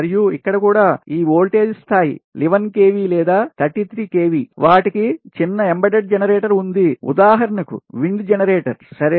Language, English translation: Telugu, and here also, at this voltage level, eleven kv or thirty three kv, they have small embedded generator, for example wind generators